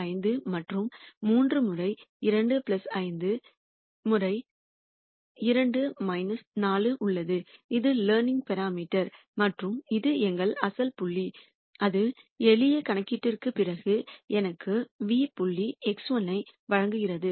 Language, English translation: Tamil, 5, and 3 times 2 plus 5 times 2 minus 4 and this is the learning parameter and this is our original point which gives me a nu point x 1 after simple computation